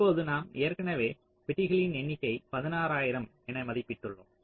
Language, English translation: Tamil, number of boxes, you have already estimated sixteen thousand approximately